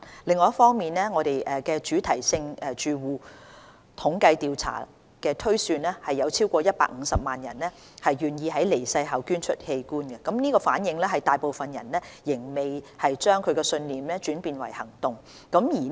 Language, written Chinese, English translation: Cantonese, 另一方面，《主題性住戶統計調查》推算有超過150萬人願意在離世後捐出器官，反映有大部分人仍未將信念轉變為行動。, On the other hand the latest Thematic Household Survey THS has projected that more than 1.5 million people are willing to donate their organs after death reflecting that most people have yet to turn their beliefs into actions